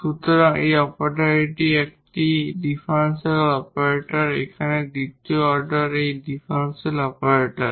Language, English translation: Bengali, So, this is the operator is a differential operator here the second order this differential operator